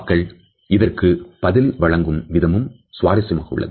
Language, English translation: Tamil, The ways in which we respond to it are also very interesting to note